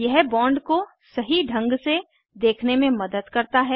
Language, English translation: Hindi, This helps to visualize the bond correctly